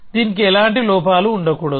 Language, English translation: Telugu, So, it should have no flaws